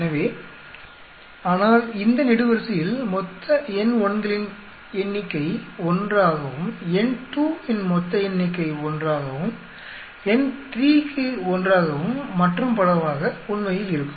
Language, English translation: Tamil, So, but the total number of N1s will come to be 1 in this column and total number of a N2 will come out to be 1, N3 will come out to be 1 and so on actually